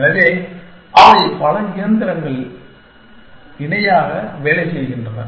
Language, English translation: Tamil, So, as they are many machines working in parallel